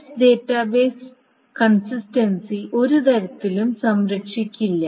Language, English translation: Malayalam, So that means S will not preserve the database consistency in some manner